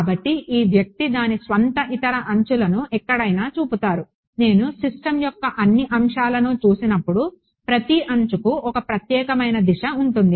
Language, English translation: Telugu, So, this guy will have its own other edges pointed any where, combined in the combined way when I look at all the elements of the system every edge will have a unique direction